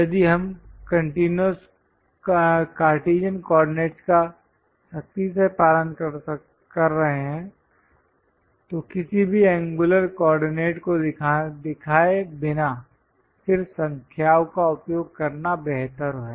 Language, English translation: Hindi, If we are strictly following Cartesian coordinates, it's better to use just numbers without showing any angular coordinate